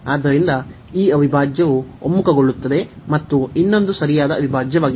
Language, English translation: Kannada, So, this integral converges and the other one is proper integral